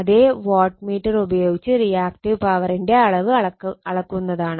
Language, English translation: Malayalam, So, this way watt same wattmeter , you can used for Measuring the Reactive Power right